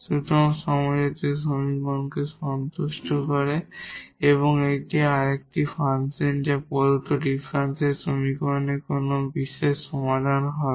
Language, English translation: Bengali, So, the u satisfies that homogeneous equation and this v another function v be any particular solution of the given differential equation